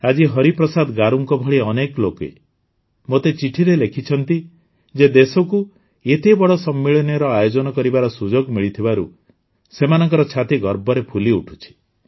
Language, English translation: Odia, Today, many people like Hariprasad Garu have sent letters to me saying that their hearts have swelled with pride at the country hosting such a big summit